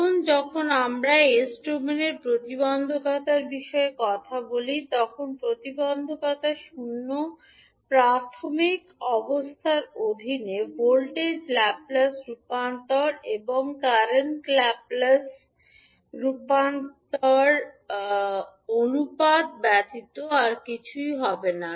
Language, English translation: Bengali, Now, when we talk about the impedance in s domain so impedance would be nothing but the ratio of voltage Laplace transform and current Laplace transform under zero initial conditions